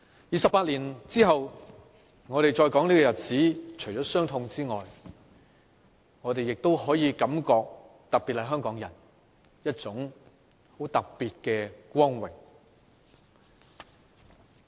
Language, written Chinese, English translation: Cantonese, 二十八年後，我們再說這個日子時，除了傷痛之外，我們作為香港人，亦感覺到一份很特別的光榮。, Twenty - eight years have passed . When we talk about this day again apart from the pain we being Hongkongers also feel particularly honoured